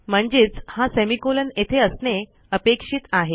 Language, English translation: Marathi, Now why are we expecting a semicolon